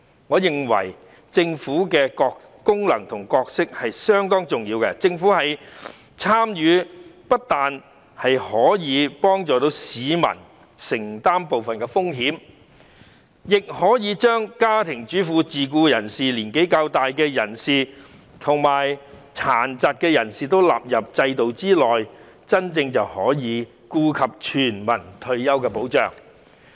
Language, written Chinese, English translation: Cantonese, 我認為政府的功能和角色相當重要，因為政府的參與不但可以幫助市民承擔部分風險，亦可以把家庭主婦、自僱人士、較年長人士及殘疾人士納入制度之內，成為真正顧及全民的退休保障。, I consider the Governments function and role rather important because its participation can undertake some risks for members of the public; furthermore housewives self - employed persons the relatively older persons and persons with disabilities can be incorporated into the system thereby genuinely catering for the retirement protection needs of all people